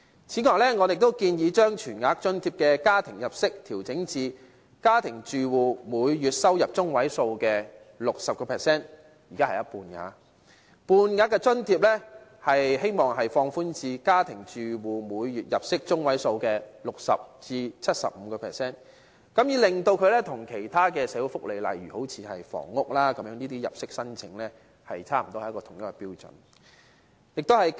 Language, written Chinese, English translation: Cantonese, 此外，我們亦建議將全額津貼的家庭入息限額，調整至家庭住戶每月入息中位數的 60%； 而半額津貼，希望放寬至家庭住戶每月入息中位數的 60% 至 75%， 令它與其他社會福利，例如房屋等入息申請，差不多是同一個標準。, Besides we also propose that the monthly family income limit for Full - rate Allowances be adjusted to 60 % of the median monthly domestic household income while the monthly family income limit for Half - rate Allowances be adjusted from 60 % to 75 % of the median monthly domestic household income so as to maintain a standard similar to the income limits on application for other social welfare such as housing